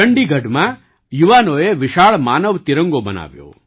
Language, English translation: Gujarati, In Chandigarh, the youth made a giant human tricolor